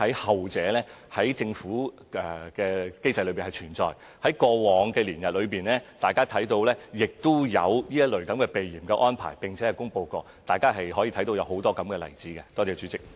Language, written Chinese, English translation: Cantonese, 後者是存在於政府的機制中，過往大家看到亦有這類避嫌的安排，並且曾經公布，大家可以看到很多這樣的例子。, The latter is adopted under the Governments mechanism . Members may well notice that previously there were many similar examples of published arrangements for avoidance of suspicion